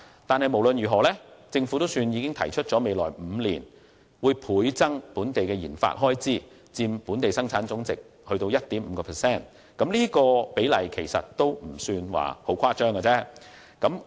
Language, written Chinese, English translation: Cantonese, 不過，無論如何，政府總算已提出在未來5年，將本地的研發開支倍增至佔本地生產總值的 1.5%， 而這比例其實一點也不誇張。, Nonetheless in any case the Government has finally proposed to double local RD expenditure to 1.5 % of GDP in the next five years and this percentage is not large at all